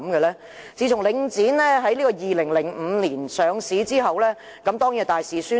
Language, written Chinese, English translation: Cantonese, 領展自從在2005年上市後便大肆宣傳。, Link REIT launched extensive publicity campaigns since its listing in 2005